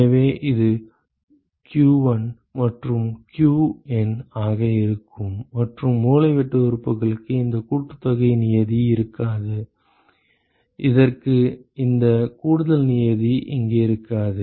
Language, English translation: Tamil, So, that is going to be q1 and qN and the diagonal elements will not have this summation term, this will not have this additional term here